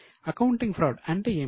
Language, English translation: Telugu, What was the accounting fraud